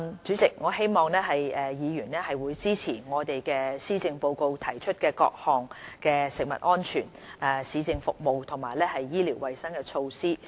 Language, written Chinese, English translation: Cantonese, 主席，我希望議員支持施政報告中提出的各項食物安全、市政服務及醫療衞生的措施。, It is my hope President that Members will support the various measures regarding food safety municipal services and health care set out in the Policy Address